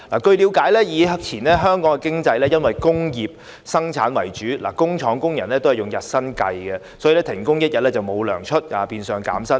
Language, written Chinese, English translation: Cantonese, 據了解，以前香港經濟以工業生產為主，工廠工人支取日薪，如果停工一天就會沒有工資，變相減薪。, It is understood that our economy was dominated by industrial production in the past . As factory workers were paid daily wages they would not be paid if they stopped working for a day and they would have wage reductions in disguise